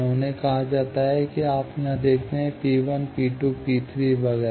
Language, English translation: Hindi, They are called, here you see, P 1, P 2, P 3 etcetera